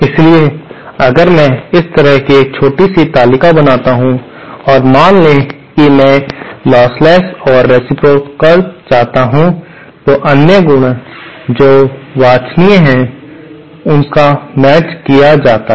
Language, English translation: Hindi, So, if I make a small table like this, suppose I want lossless and reciprocal and the other property that is desirable is matched